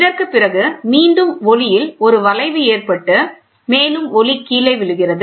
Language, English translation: Tamil, So, after this again there is a bending which is happening to the light, the light further hits down